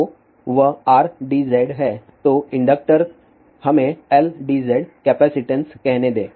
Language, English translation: Hindi, So, that is R dz, then the inductor is let us say L dz the capacitance